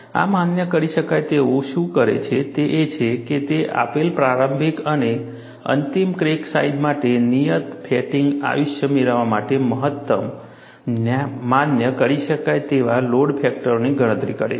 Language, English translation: Gujarati, What the program does is, it computes the maximum allowable load factors, to achieve a prescribed fatigue life for a given initial and final crack sizes